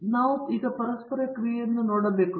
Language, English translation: Kannada, Okay so, we have to see the interaction